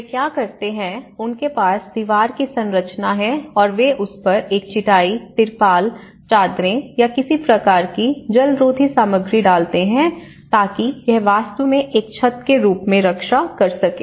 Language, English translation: Hindi, What they do is, they have this walled structure and they put a mat on it, the tarpaulin sheets or some kind of waterproof materials so that it can actually protect as a roof